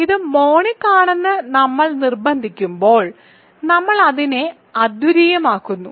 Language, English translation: Malayalam, So, when we insist that it is monic we make it unique